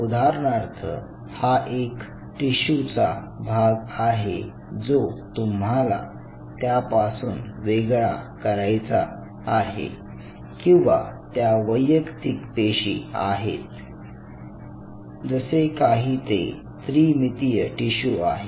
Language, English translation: Marathi, So, say for example, you have this piece of tissue what you have to dissociate and these are the individual cells say for example, something like a 3 dimensional tissue